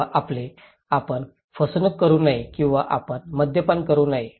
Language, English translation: Marathi, Or your; you should not do cheating or you should not drink alcohol okay